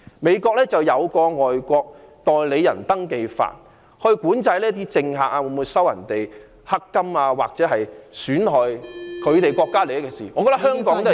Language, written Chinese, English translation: Cantonese, 美國有《外國代理人登記法》，管制政客會否收取"黑金"或做出損害國家利益的事......, There is the Foreign Agents Registration Act in the United States which governs whether politicians will receive illicit funds or commit acts detrimental to national interests I find it necessary for Hong Kong to enact similar legislation Deputy President